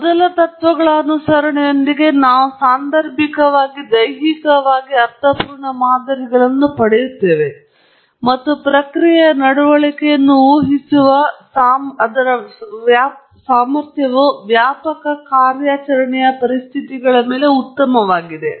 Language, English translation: Kannada, With the first principles approach, we do get causal, physically meaningful models and so on, and also, its ability to predict the process behavior is good over a wide range of operating conditions